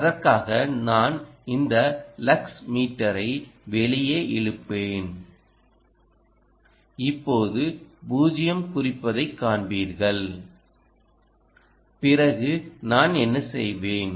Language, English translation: Tamil, i will pull out this lux meter and you will see that right now it is reading zero